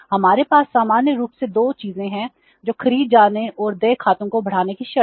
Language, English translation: Hindi, We have normally two things that is the terms of purchase and stretching accounts payable